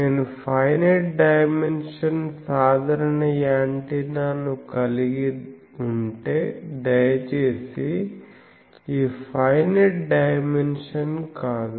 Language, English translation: Telugu, We say that if I have a general antenna of finite dimension, please not this finite dimension